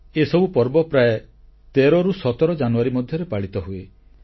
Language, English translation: Odia, All of these festivals are usually celebrated between 13th and 17thJanuary